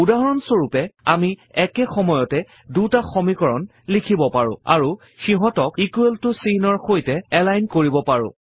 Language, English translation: Assamese, For example, we can write simultaneous equations and align them on the equal to character